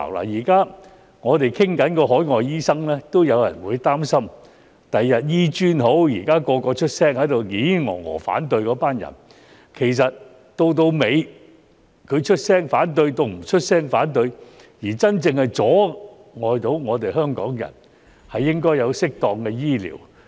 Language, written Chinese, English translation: Cantonese, 現時我們討論海外醫生，已有人擔心日後香港醫學專科學院的情況，無論現在嘮嘮叨叨地出聲反對的人，到最後出聲反對與否，這都會阻礙香港人享有適當的醫療。, You should not let MCHK interfere time and again . When we are now having discussions about overseas doctors some people are already worried about the situation of the Hong Kong Academy of Medicine HKAM in future . For those who are nagging in opposition now no matter whether they will express their opposition in the end it will prevent Hong Kong people from getting adequate medical treatment